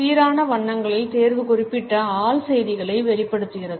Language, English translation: Tamil, The choice of uniform colors conveys particular sets of subconscious messages